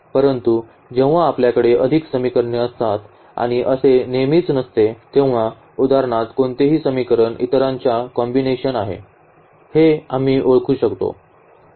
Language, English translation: Marathi, But, when we have more equations and this is not always the case that we can identify that which equation is a combination of the others for example, example